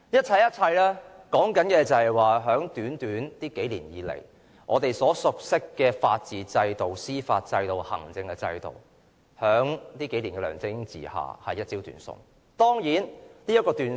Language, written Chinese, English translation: Cantonese, 這一切所說的就是在這短短數年以來，我們所熟悉的法治制度、司法制度、行政制度，在梁振英的管治下一朝斷送。, All this attests to the fact that over a short span of the past few years the rule of law the judicial system and the government administrative system we are so familiar with have all been lost under LEUNG Chun - yings rule